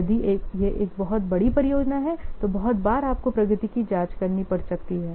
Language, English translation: Hindi, If it is a very large size project might be again very frequently you have to check the progress